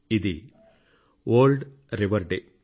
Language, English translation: Telugu, That is World Rivers Day